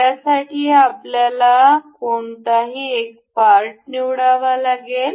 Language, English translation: Marathi, For this we have to select one any one of the part